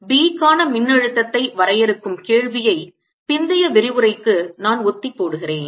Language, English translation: Tamil, i will postponed the question of defining a potential for b for later lecture